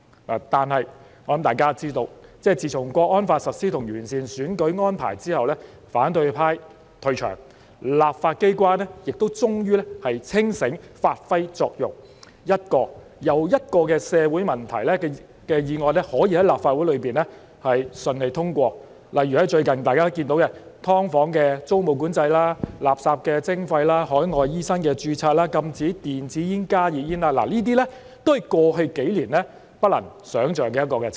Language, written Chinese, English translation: Cantonese, 不過，大家也知道，自從《香港國安法》實施和完善選舉安排後，反對派退場，立法機關亦終於清醒，發揮作用，一個又一個解決社會問題的議案可以在立法會順利通過；例如最近有關"劏房"的租務管制、垃圾徵費、海外醫生註冊、禁止電子煙和加熱煙的議案，這些議案獲得通過的情景，都是過去數年不能想象的。, However as we all know since the implementation of the Hong Kong National Security Law and the improvement of the electoral arrangements the opposition camp has withdrawn from the scene and the legislature has finally come to its senses and played its role by passing one motion after another smoothly to resolve social problems . Some recent examples are the motions on rent control of subdivided units garbage levy registration of overseas medical practitioners as well as the ban on electronic cigarettes and heated tobacco products . The passage of these motions could hardly be imagined in the past few years